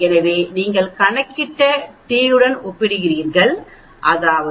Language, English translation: Tamil, So you compare with the t which you calculated, which is minus 0